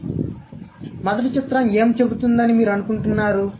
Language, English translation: Telugu, So, what does the first picture say